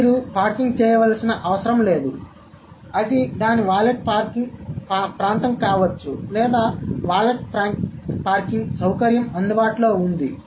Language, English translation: Telugu, So, you don't have to park it, maybe it's a valley parking area or the valley parking facility is available